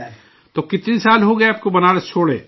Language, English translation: Urdu, So how many years have passed since you left Banaras